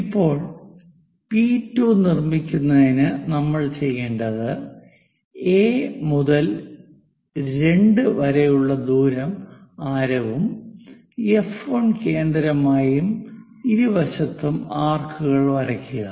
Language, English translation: Malayalam, Now, if we are moving to the second point to construct P 2 what we have to do is from A to 2 whatever the distance use that distance, but centre as F 1 make an arc on either side